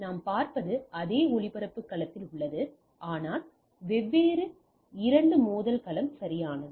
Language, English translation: Tamil, So, what we see it is a still in the same broadcast domain, but two different collision domain right